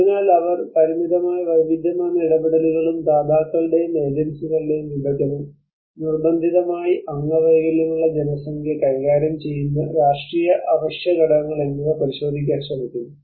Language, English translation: Malayalam, So they are try to look at a limited variety of interventions and a fragmentation of donors and agencies and political imperatives managing forcibly disabled populations